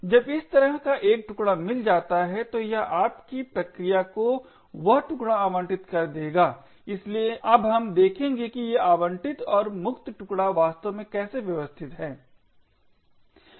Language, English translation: Hindi, When such a chunk is found then it would allocate that chunk to your process, so we will now look at how these allocated and free chunks are actually organized